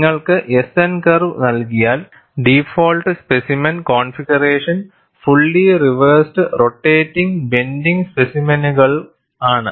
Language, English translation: Malayalam, Somebody gives you the S N curve, the default specimen configuration is fully reversed rotating bending specimen